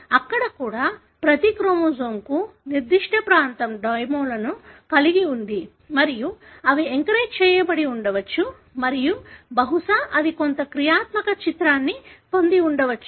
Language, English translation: Telugu, Even there, you see that each chromosome has domains particular region on which they are anchored and probably that has got some functional relevance